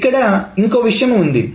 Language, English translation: Telugu, That's one thing